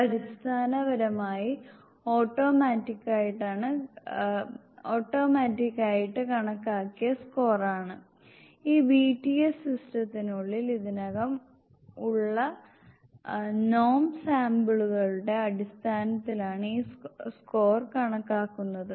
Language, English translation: Malayalam, This is basically an automatic calculated score; this score is calculated on the base of the norm samples, which has already been inside this BTS system